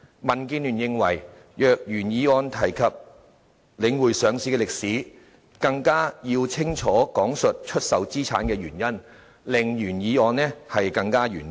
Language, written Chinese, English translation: Cantonese, 民建聯認為若原議案提及領匯上市的歷史，更要清楚講述出售資產的原因，令內容更完整。, DAB thinks that as the original motion mentions the history of The Link REITs listing it should clarify the reason for the asset sale so as to make the contents of discussion complete